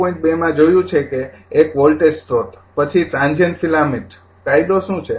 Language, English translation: Gujarati, 2 you have seen that your one voltage source, then your what you call the transient filament law right